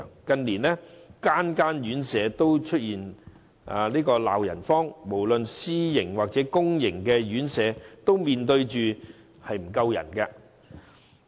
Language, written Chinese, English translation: Cantonese, 近年，各院舍均鬧"人荒"，無論私營或公營院舍均面對人手不足的問題。, In recent years residential homes both self - financing RCHEs and public residential homes have been facing a serious manpower shortage